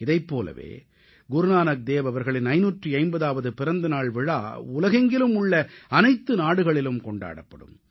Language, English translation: Tamil, Guru Nanak Dev Ji's 550th Prakash Parv will be celebrated in a similar manner in all the countries of the world as well